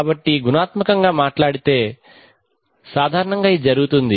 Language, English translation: Telugu, So this is what qualitatively speaking, this is what typically happens